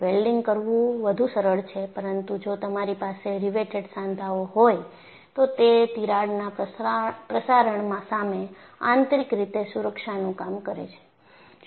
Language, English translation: Gujarati, Welding is lot more simpler, but if you have riveted joints, it serves as in built safety against crack propagation